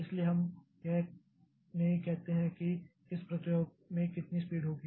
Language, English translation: Hindi, So, we do not say like how much at what speed which process will execute